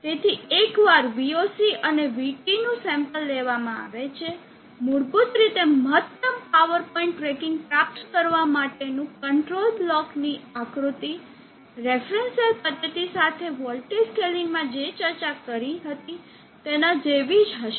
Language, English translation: Gujarati, So once VOC and VT are sampled, basically the control block diagram for achieving maximum power point tracking will be same as what we had discussed in the reference cell method with voltage scaling